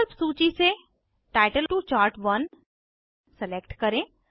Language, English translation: Hindi, Select Title to Chart1 from the options list